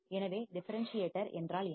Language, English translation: Tamil, So, differentiator, what is a differentiator